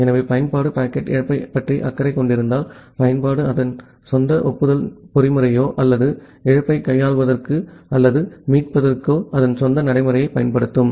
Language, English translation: Tamil, So, if the application cares about packet loss, the application will apply its own acknowledgement mechanism or its own procedure for handling or recovering from the loss